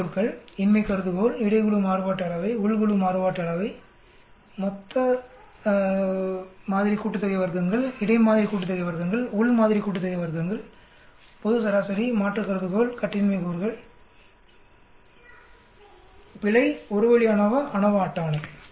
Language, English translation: Tamil, Key words: Variance, Null hypothesis, between group variance, within group variance, total sample sum of squares, between sample sum of squares, within sample sum of squares, global mean, alternate hypothesis, degrees of freedom, error, one way ANOVA, ANOVA table